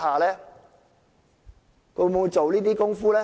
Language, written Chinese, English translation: Cantonese, 它會否做這些工夫呢？, Will it take such a step?